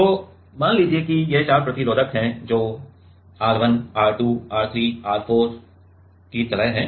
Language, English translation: Hindi, So, let us say these are four resistors which are like R1, R2, R3, R4 let us say